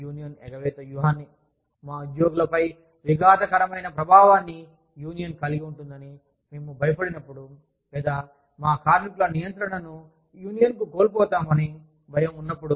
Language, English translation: Telugu, We select, a union avoidance strategy, when we fear, that the union will have, a disruptive influence on our employees, or, fear, losing control of our workers, to a union